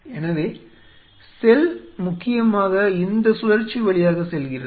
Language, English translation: Tamil, So, cell essentially goes through this cycle